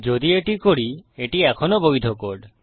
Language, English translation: Bengali, If we do this, this is still a valid code